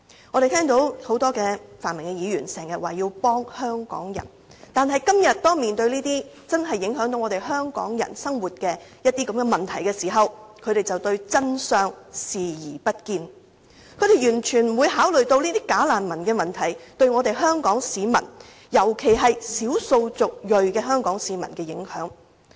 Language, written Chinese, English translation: Cantonese, 我們聽到很多泛民議員經常也說要幫香港人，但今天當面對這些真正影響香港人生活的問題時，他們卻對真相視而不見，完全不考慮"假難民"問題對香港市民，特別是少數族裔香港市民的影響。, We often hear many pan - democratic Members say that they want to help Hong Kong people . But when we are faced with all such problems that truly affect the everyday lives of Hong Kong people they simply ignore them totally refusing to consider the impact of bogus refugees on Hong Kong people particularly the ethnic minority Hong Kong residents